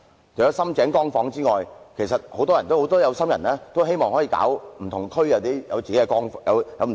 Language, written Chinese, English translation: Cantonese, 除了"深井光房"外，很多有心人也希望在不同地區推出"光房"。, Apart from Sham Tseng Light Home many aspirants hope to introduce Light Home in various districts